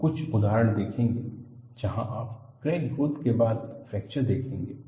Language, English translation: Hindi, In fact, we would see a few examples, where you see a crack growth followed by fracture